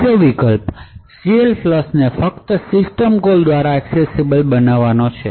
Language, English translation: Gujarati, Another alternative is to make CLFLUSH accessible only through a system call